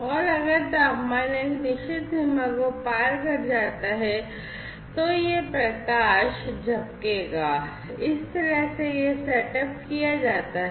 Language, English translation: Hindi, And if the temperature crosses a certain threshold, then, basically, this light is going to blink, this is how this setup is done